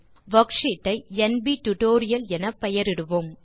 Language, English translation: Tamil, Let us name the worksheet as nbtutorial